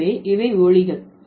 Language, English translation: Tamil, So, these are the sounds